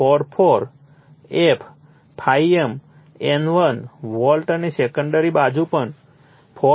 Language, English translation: Gujarati, 44 f ∅ m N1 volt and the secondary side also 4